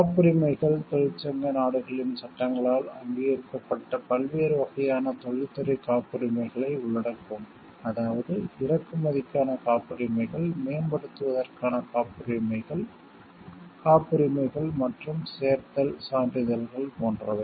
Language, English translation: Tamil, Patents shall include the various kinds of industrial patents recognized by the laws of the countries of the union, such as patents of importation, patents of improvement, patents and certifications of additions etc